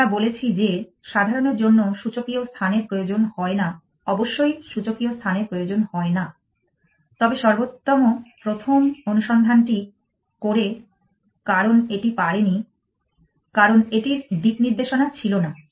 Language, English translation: Bengali, We said that is general require exponential space off course well does not require exponential space, but best first search does because it could not it had no sense of direction